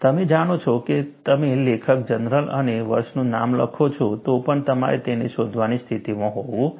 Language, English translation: Gujarati, You know, even if you write the name of the author and the journal and the year, you should be in a position to search it